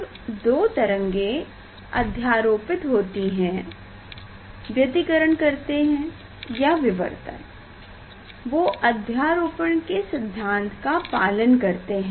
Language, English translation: Hindi, when two waves are meeting, interfering, or there is a diffraction, so then following the superposition principle